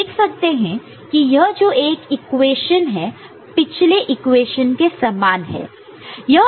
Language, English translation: Hindi, So, this is the kind of equation that we had seen before